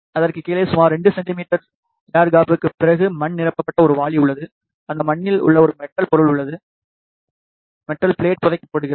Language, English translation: Tamil, And below that after the air gap of around 2 centimeters there is a bucket filled with soil and inside that soil a metal object or metal plate is buried